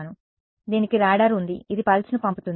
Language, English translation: Telugu, So, it has a radar it sends a pulse right